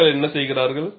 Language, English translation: Tamil, And what do people do